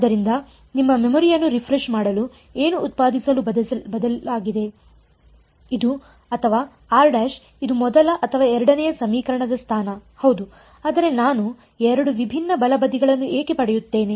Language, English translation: Kannada, So, what just to refresh your memory what changed to produce either this or this the first or the second equation position of r dash yeah, but why do I get two different right hand sides